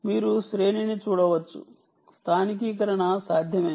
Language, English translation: Telugu, you can see, ranging is possible, localization is possible